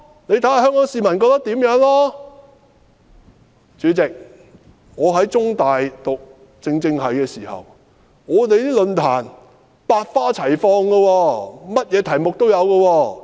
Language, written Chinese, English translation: Cantonese, 主席，我在中文大學政治與行政學系就讀時，我們的論壇百花齊放，甚麼題目也有。, President when I was studying at the Department of Government and Public Administration of The Chinese University of Hong Kong many forums were held with diversified topics . Yet what is more interesting is our assignment